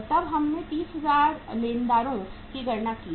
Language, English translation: Hindi, Then we have calculated the sundry creditors 30,000